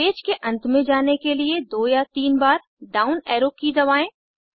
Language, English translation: Hindi, Press the down arrow key two or three times to go to the end of this page